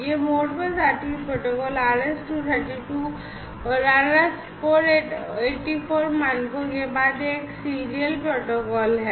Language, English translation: Hindi, This Modbus RTU protocol is a serial protocol following RS 232 and RS 484 standards